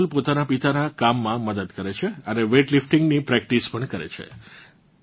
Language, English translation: Gujarati, Kajol would help her father and practice weight lifting as well